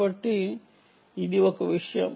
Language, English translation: Telugu, that is one thing